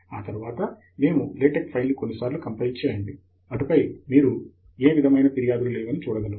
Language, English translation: Telugu, Then we will run LaTeX couple of times, and then, you can now see that there is no more complaint